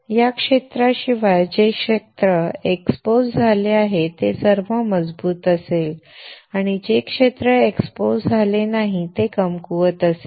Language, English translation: Marathi, Everything except this area which is exposed will be strong and the area which is not exposed will be weak